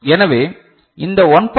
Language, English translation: Tamil, So, this 1